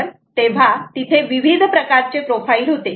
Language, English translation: Marathi, so there were different types of profiles